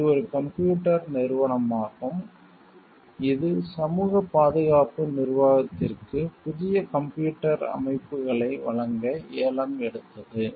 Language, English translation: Tamil, It is a computer company which is bid to supply the social security administration with new computer systems